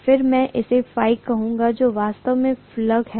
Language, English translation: Hindi, And I am going to call that as actually phi, that is the flux